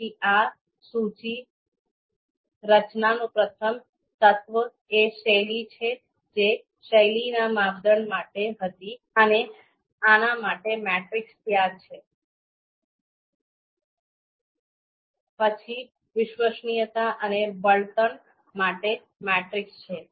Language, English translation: Gujarati, So the in the first element of this list structure is style that was the style you know you know for the style criteria and the matrix is there, then for reliability and fuel